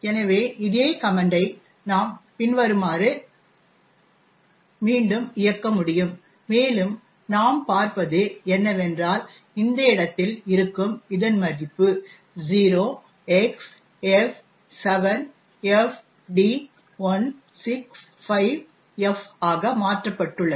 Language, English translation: Tamil, So, we can rerun this same command as follows and what we see is that this value present in this location has changed to F7FD165F